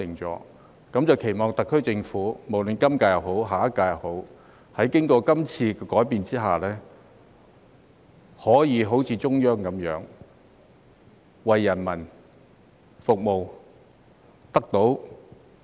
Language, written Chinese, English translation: Cantonese, 我期望特區政府，不論是今屆或下屆，在經過今次改變後，可以像中央政府般為人民服務。, It is also my hope that after this amendment exercise the SAR Government of both the current term and the next term will follow the example of the Central Government to serve the people